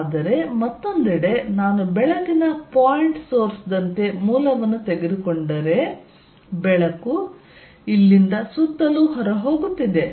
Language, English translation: Kannada, But, on the other hand, if I take a source of like a point source of light and light is going out from here all around